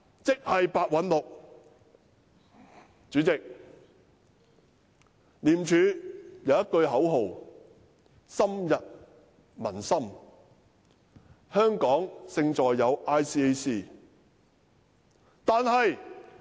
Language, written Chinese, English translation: Cantonese, 主席，廉署有一句深入民心的口號："香港勝在有 ICAC"。, Chairman . ICAC has a well - known slogan Hong Kongs cutting edge―ICAC